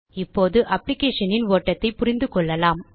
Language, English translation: Tamil, Now let us understand the flow of the application